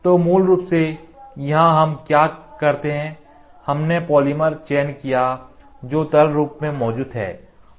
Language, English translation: Hindi, So, basically here what we do is the polymer, which exist in liquid form is chosen